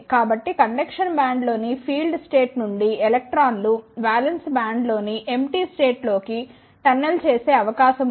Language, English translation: Telugu, So, there is a possibility that the electrons from the filled state in the conduction band can tunnel into the empty states in the valence band